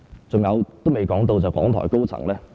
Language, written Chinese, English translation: Cantonese, 還有，我也未談到港台高層......, Besides I have not yet talked about the senior management of RTHK